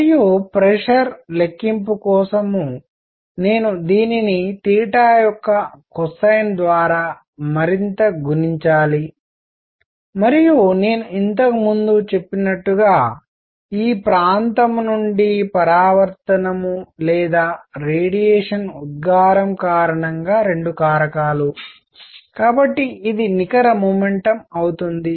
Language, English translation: Telugu, And for pressure calculation, I will further multiply this by cosine of theta and as I said earlier a factor of two because either the reflection or radiation emission from this area; so this would be the net momentum